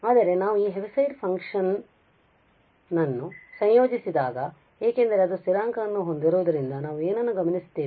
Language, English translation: Kannada, But what we observe that this Heaviside function when we integrate the value because it has a constant value here 0 and this is 1